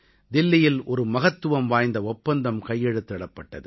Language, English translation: Tamil, A significant agreement was signed in Delhi